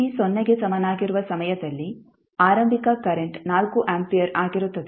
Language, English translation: Kannada, The initial current that is current at time t is equal to 0 is 4 ampere